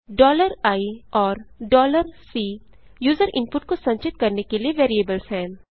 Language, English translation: Hindi, $i and $C are variables to store user input